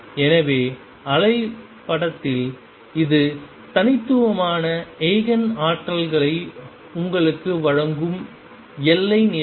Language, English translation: Tamil, So, in the wave picture it is the boundary condition that gives you those discrete Eigen energies